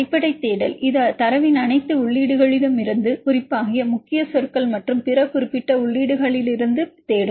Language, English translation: Tamil, The basic search it will search from all entries in the data, especially the key words and other specific entries